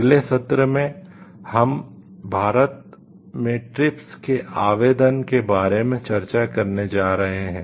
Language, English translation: Hindi, In the next session, we are going to discuss about the application of TRIPS in India